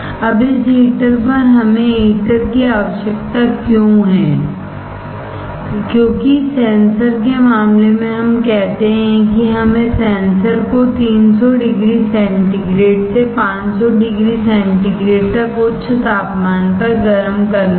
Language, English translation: Hindi, Now, on this heater; why we require heater, because in case of sensor we say that we had to heat the sensor at high temperature from 300 degree centigrade to 500 degree centigrade